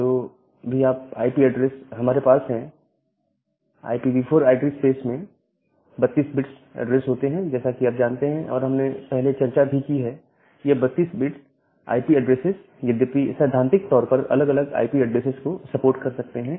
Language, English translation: Hindi, So, whatever IP address we have, in the IPv4 address space with 32 bit addresses and as you know, we have we have discussed that these 32 bit IP address all though, theoretically it can support you 2 to the power 32 different IP addresses